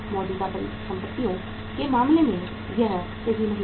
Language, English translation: Hindi, It is not true in case of the current assets